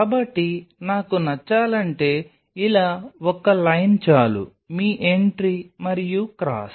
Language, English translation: Telugu, So, if I have to like put one single line like this is your entry and cross